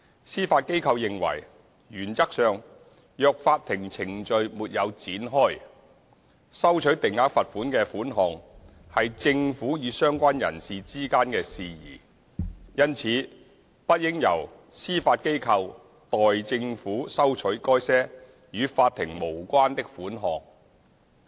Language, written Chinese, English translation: Cantonese, 司法機構認爲，原則上，若法庭程序沒有展開，收取定額罰款的款項是政府與相關人士之間的事宜，因此不應由司法機構代政府收取該些與法庭無關的款項。, As a matter of principle if no court proceeding is initiated the Judiciary considers any collection of fixed penalty payments to be a matter between the Government and the person concerned . The Judiciary should not collect such payments which are not court payments on behalf of the Government